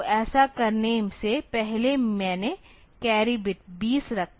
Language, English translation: Hindi, So, before doing this I said the carry bit 2 0